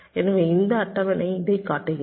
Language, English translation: Tamil, so this table shows this